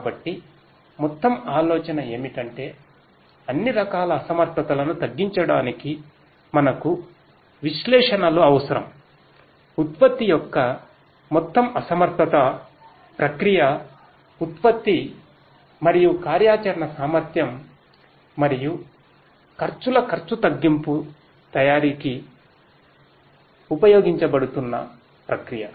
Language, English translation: Telugu, So, the overall idea is we need analytics for reducing inefficiencies of all sorts, overall inefficiency of the product, the process; the process that is being used in order to manufacture the product and the operational efficiency and the expense reduction of the expenses